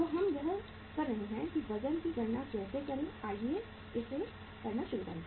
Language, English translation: Hindi, So uh we are doing it that how to calculate the weights so let us uh say start doing it